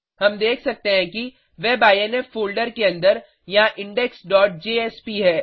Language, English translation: Hindi, We can see that under the WEB INF folder there is index.jsp